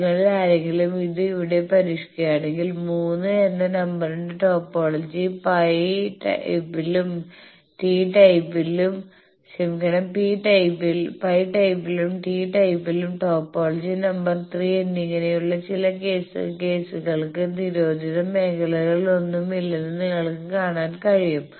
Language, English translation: Malayalam, If any of you attempt it here then you can see that there are some of the cases like the topology in a number 3 and topology number 3 in both the pi type and t type there are no prohibited regions